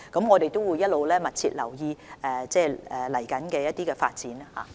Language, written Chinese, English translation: Cantonese, 我們會一直密切留意未來的發展。, We will pay close attention to the future development